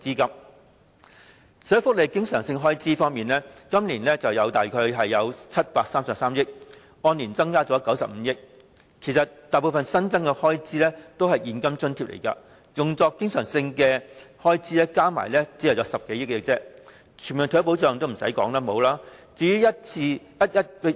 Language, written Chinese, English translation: Cantonese, 在社會福利經常性開支方面，今年的預算約有733億元，按年增加了95億元，但大部分新增開支其實是現金津貼，用作經常性開支的只有合共10多億元。, For the recurrent expenditure on social welfare the estimates this year are approximately 73.3 billion an increase of 9.5 billion over last year . But most of the new expenditure estimates are for the provision of various cash allowances and recurrent expenditure estimates only amount to some 1 billion